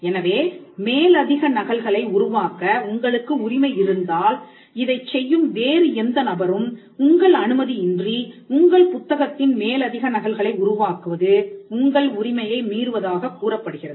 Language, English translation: Tamil, So, if you have the right to make further copies, any other person who does this, making further copies of your book without your approval or your consent is said to be infringing your right that person is violating a right that you have